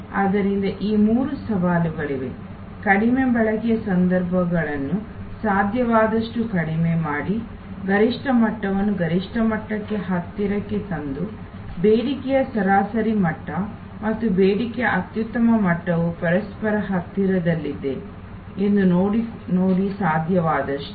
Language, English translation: Kannada, So, there are these three challenges, reduce the occasions of low utilization as much as possible, bring the optimum level as close to the maximum level as possible and see that the average level of demand and optimal level of demand are as close to each other as possible